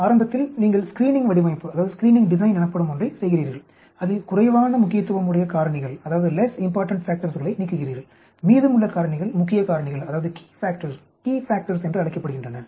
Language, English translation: Tamil, Initially you do something called as Screening design, you eliminate less important factors and the remaining factors are called key factors